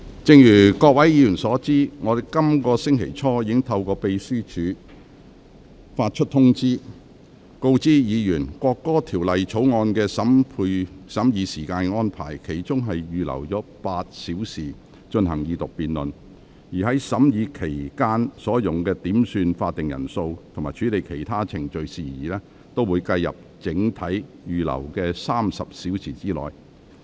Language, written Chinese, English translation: Cantonese, 正如各位議員所知，我在本星期初已透過秘書處發出通知，告知議員處理《國歌條例草案》的時間安排，其中預留了8小時進行二讀辯論，而審議期間用於點算法定人數和處理其他程序事宜的時間，會計入整體預留的30小時內。, As Honourable Members are aware early this week I issued a circular via the Secretariat to inform Members of the time allocation for handling the National Anthem Bill the Bill where eight hours have been reserved for the Second Reading debate and the time used for quorum calls and other procedural matters during the consideration of the Bill will be counted in the 30 hours mentioned above